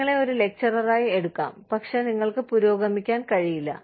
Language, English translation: Malayalam, Could be taken in, as a lecturer, and you just, do not progress